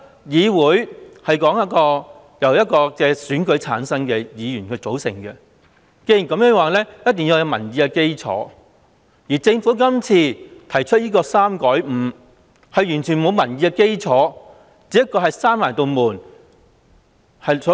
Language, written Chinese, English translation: Cantonese, 議會由選舉產生的議員組成，必須有民意的基礎，而政府提出把侍產假由3天改為5天，完全沒有民意的基礎。, As the Council is composed of elected Members all its decisions must be made on the basis of public opinion . The proposal of the Government to increase paternity leave from three days to five days is not founded on public opinion